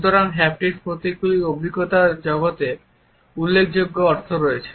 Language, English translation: Bengali, So, haptic symbols have significant meanings in the world of experience